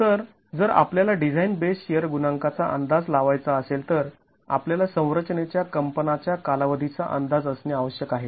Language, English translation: Marathi, Okay, so if we have to estimate the design based share coefficient, we need an estimate of the period of vibration of the structure